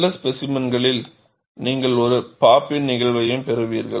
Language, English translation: Tamil, In certain specimens, you will also have a pop in phenomenon